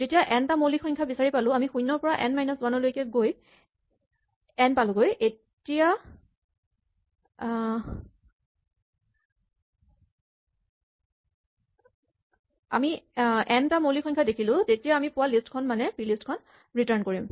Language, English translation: Assamese, So, when we do find n primes, when we have gone from 0 to n minus 1, and we have reach the count n, we have seen n primes then we return the list that we found so far and this is plist